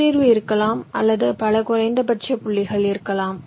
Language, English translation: Tamil, there can be a solution space or there can be multiple minimum points